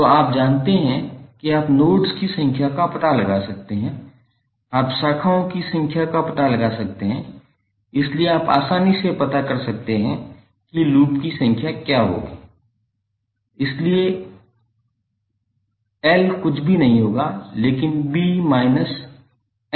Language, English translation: Hindi, So you know you can find out the numbers of nodes, you can find out the number of branches, so you can easily find out what would be the numbers of loops, so l would be nothing but b minus n plus one